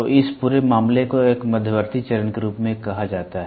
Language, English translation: Hindi, So, this entire thing is called as an intermediate phase; intermediate phase